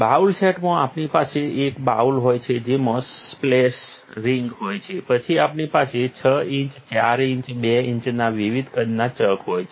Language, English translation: Gujarati, In the bowl sets, we have a bowl, we have a splash ring, then we have different sizes of chucks is 6 inch, 4 inch, 2 inch